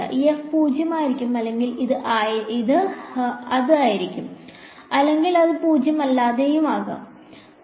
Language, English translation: Malayalam, This f may be zero or it will be or it can be non zero